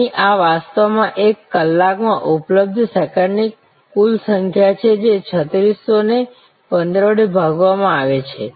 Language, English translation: Gujarati, Here, this is actually the total number of seconds available in an hour, which is 3600 divided by 15